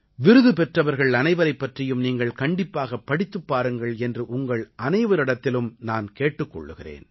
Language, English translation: Tamil, I urge you to read up about each of the awardees